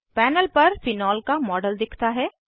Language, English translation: Hindi, A Model of phenol is displayed on the panel